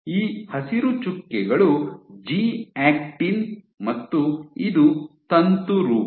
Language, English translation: Kannada, So, these green dots are my G actin and this is my filament form